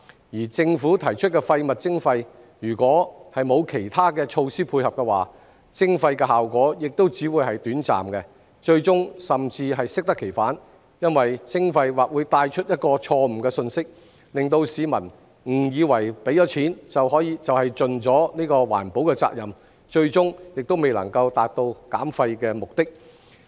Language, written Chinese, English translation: Cantonese, 而政府提出廢物徵費，如果沒有其他措施配合的話，徵費的效果亦只會是短暫，最終甚至適得其反，因為徵費或會帶出一個錯誤信息，令市民誤以為付了錢就是盡了環保責任，最終還是未能達到減廢目的。, As for waste charging proposed by the Government its effects will also be temporary if it is not complemented by other measures . It may even end up having an opposite effect for the imposition of levies may convey a wrong message to the public that they have fulfilled their eco - responsibilities simply by paying money . At the end of the day waste reduction still cannot be achieved